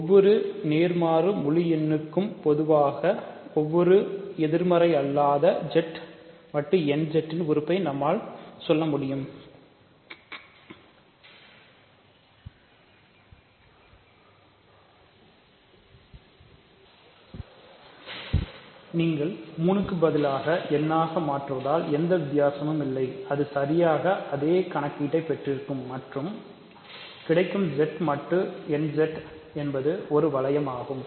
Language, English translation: Tamil, So, more generally for every positive integer, let us say for every non negative integer Z mod n Z, there is absolutely no difference it is exactly the same calculation and if you replace 3 by n you get that Z mod n Z is a ring